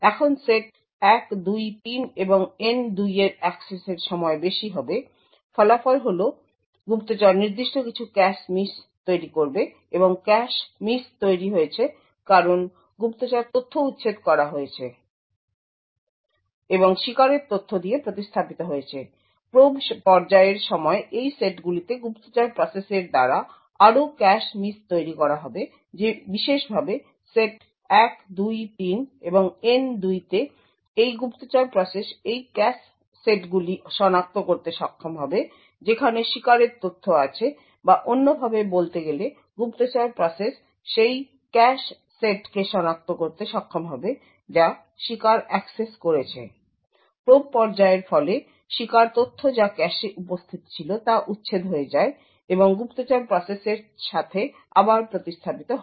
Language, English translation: Bengali, Now the access time for set 1, 2, 3 and N 2 would be high, the result is that the spy would incur certain cache misses and the cache misses are incurred because the spy data has been evicted and replaced with the victim data and during the probe phase there would be further cache misses incurred by the spy process in these sets specifically sets 1, 2, 3 and N 2 in this way the spy process would be able to identify this cache sets which have victim data or in other words the spy process would be able to identify the cache sets which the victim has accessed